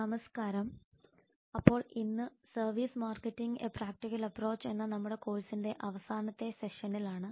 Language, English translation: Malayalam, hello there so today we are in the last session of our course on services marketing a practical approach